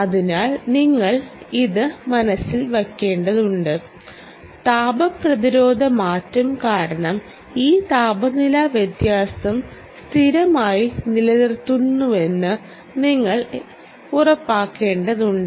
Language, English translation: Malayalam, you must bear this in mind that ah, because of thermal resistance, change in thermal resistance, you will have to ensure that this temperature differential is maintained, ah in a sustained manner